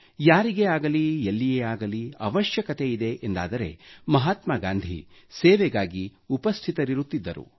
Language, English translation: Kannada, Whoever, needed him, and wherever, Gandhiji was present to serve